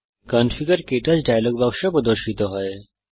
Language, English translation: Bengali, The KTouch Lecture Editor dialogue box appears